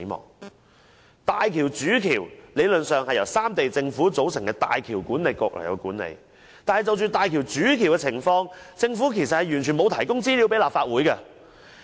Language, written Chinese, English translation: Cantonese, 理論上，大橋主橋由三地政府組成的港珠澳大橋管理局管理，但就大橋主橋的情況，政府完全沒有提供資料給立法會。, In theory the HZMB Main Bridge is managed by the HZMB Authority composed of officials from the three governments . However our Government has not provided any information to the Legislative Council regarding the management of the HZMB Main Bridge